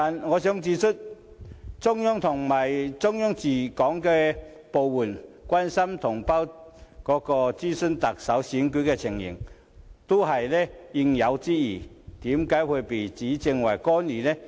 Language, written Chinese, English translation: Cantonese, 我想指出，中央和中央駐港部門關心及詢問特首選舉的情況，實屬應有之義，為何會被指為干預呢？, I wish to point out that it is the due responsibility of the Central Authorities and various Central Government offices in Hong Kong to show concern and inquire about the Chief Executive Election why would this be regarded as an intervention?